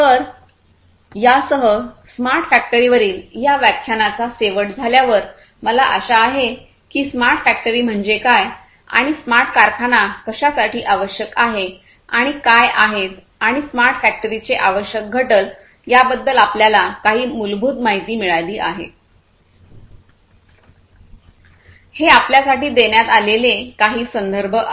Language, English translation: Marathi, So, with this we come to an end of the lecture on smart factory, I hope that by now you have some basic understanding about what smart factory is, and why smart factories are required, and what are the essential constituents of a smart factory